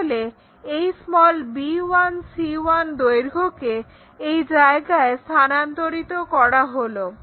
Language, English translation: Bengali, So, transfer this b 1, c 1 length here